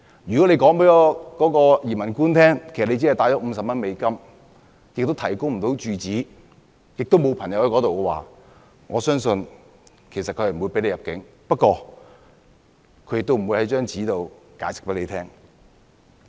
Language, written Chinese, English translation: Cantonese, 如果他告訴"移民官"，他只攜帶了50美元，亦無法提供住址，當地也沒有朋友的話，我相信他不會獲准入境，但"移民官"也不會提供書面解釋。, If he tells the immigration officer that he only has US50 and he cannot provide a residence address and does not have any friends in the United States I believe his entry will not be allowed and the immigration officer will not provide written explanations